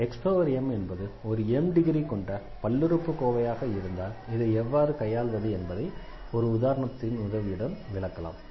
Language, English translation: Tamil, So, if x power m is a polynomial of degree m then how to handle this; the idea is which will be explained properly with the help of example